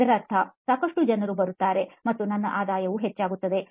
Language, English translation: Kannada, That means there are lots of people would show up and actually my revenue would go up